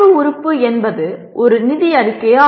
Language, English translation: Tamil, The knowledge element is financial statement